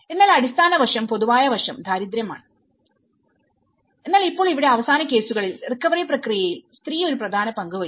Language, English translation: Malayalam, But the underlying aspect, common aspect is the poverty but now in the last cases here woman played an important role in the recovery process